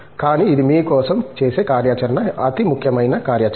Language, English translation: Telugu, But, it is the activity for you, the most important activity